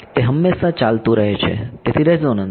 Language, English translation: Gujarati, It keeps going on forever right, so the resonance